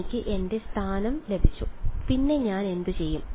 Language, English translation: Malayalam, So, I have got my a m and then what do I do